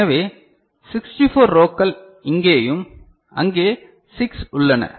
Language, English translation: Tamil, So, 64 rows right here also 6 is there